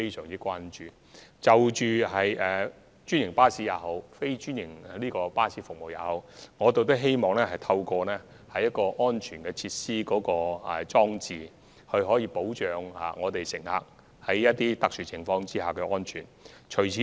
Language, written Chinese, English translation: Cantonese, 因此，在專營巴士及非專營巴士方面，我們希望透過安全措施和裝置保障乘客在特殊情況下的安全。, As such in the case of franchised and non - franchised buses we wish to protect passengers safety under exceptional circumstances through safety measures and devices